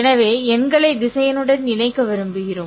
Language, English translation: Tamil, So, we want to associate numbers to the vectors